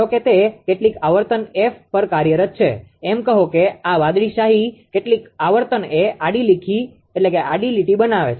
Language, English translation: Gujarati, Suppose it is operating at some frequency F say some this blue ink some frequency F make an horizontal line